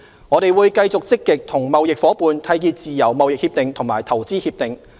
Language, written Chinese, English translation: Cantonese, 我們會繼續積極與貿易夥伴締結自由貿易協定和投資協定。, We will continue to actively forge free trade agreements FTAs and investment agreements with our trading partners